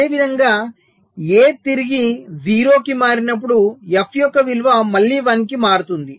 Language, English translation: Telugu, similarly, when a switches back to zero, the value of f will again switch to one